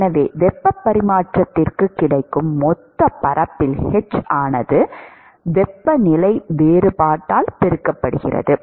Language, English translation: Tamil, So, it is h into the total area which is available for heat transfer multiplied by the temperature difference right